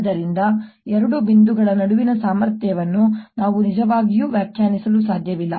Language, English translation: Kannada, therefore i cannot really define potential between two points